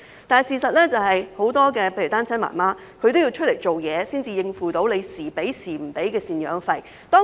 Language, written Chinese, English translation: Cantonese, 但事實是，很多單親媽媽要外出工作，才能免受有時能收到、有時收不到贍養費的影響。, However the fact is that many single mothers have to go out to work so that they will not be affected by the intermittent maintenance payments